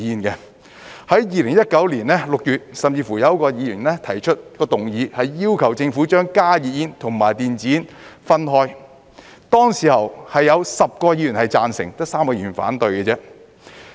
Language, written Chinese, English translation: Cantonese, 在2019年6月，甚至有一位議員提出一項議案，要求政府把加熱煙和電子煙分開，當時有10位議員贊成，只有3位議員反對。, A Member even proposed a motion in June 2019 requesting the Government to handle HTPs and e - cigarettes separately . Back then 10 Members were in favour of the motion only three were against it